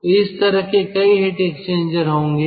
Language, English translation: Hindi, there are heat exchangers